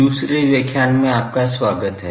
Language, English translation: Hindi, Welcome to the second lecture